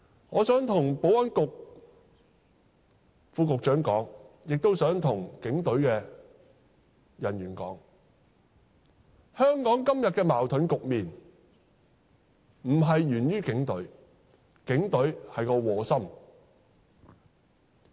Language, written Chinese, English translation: Cantonese, 我想向保安局副局長說，亦想向警隊的人員說，香港今天的矛盾局面並非源於警隊，警隊只是磨心。, I would like to say to the Under Secretary for Security and to the Police that the paradoxical situation in Hong Kong nowadays is not caused by the Police for the Police are only caught between a rock and a hard place